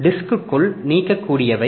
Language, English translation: Tamil, Discs can be removable